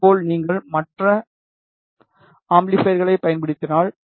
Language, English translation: Tamil, In the similar way you can use other amplifiers